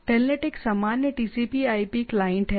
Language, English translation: Hindi, Telnet is a generic TCP/IP client right